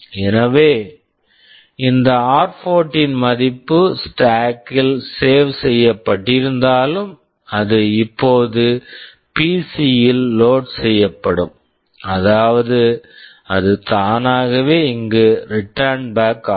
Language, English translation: Tamil, So, whatever this r14 value was saved in the stack that will now get loaded in PC, which means it will automatically return back here